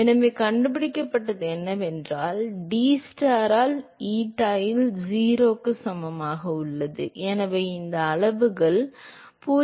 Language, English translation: Tamil, So, what was found is that dTstar by deta at eta equal to 0, so, this scales has 0